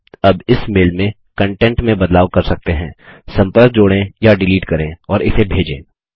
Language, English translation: Hindi, You can now modify the content in this mail, add or delete contacts and send it